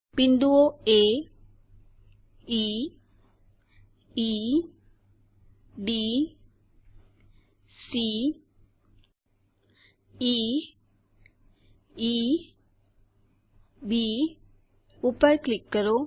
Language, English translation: Gujarati, Click on the points A,E,C C,E,D